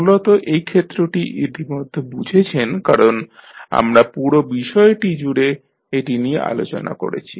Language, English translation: Bengali, Basically this particular aspect you have already understood because we have discussed throughout our course